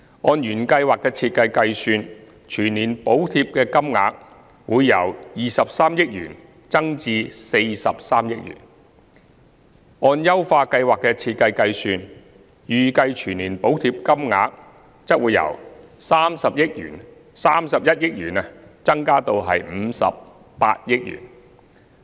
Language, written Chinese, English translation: Cantonese, 按原計劃的設計計算，全年補貼金額會由23億元增至43億元；按優化計劃的設計計算，預計全年補貼金額則會由31億元增加至58億元。, The annual subsidy amount will increase from 2.3 billion to 4.3 billion based on the design of the original Scheme while that based on the design of the enhanced Scheme will increase from 3.1 billion to 5.8 billion